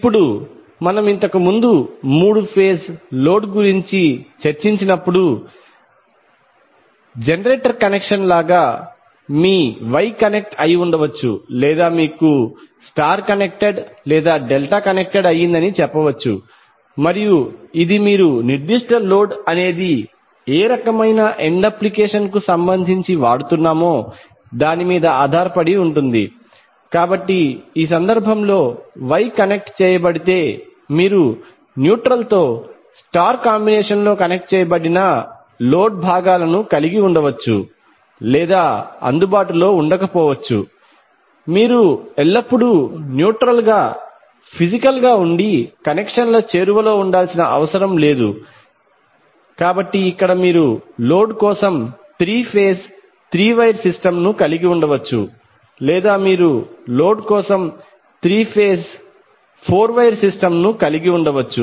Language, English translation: Telugu, Now like the generator connection which we discussed previously three phase load can also be either your wye connected or you can say star connected or delta connected and it depends upon what type of end application you have related to that particular load, so in the case wye connected you will have the loads components connected in star combination with neutral it may be available or may not be available it is not necessary that you will always have neutral physically present and reachable for connections, so here you might have three phase three watt system for the load or you can have three phase four wire system for the load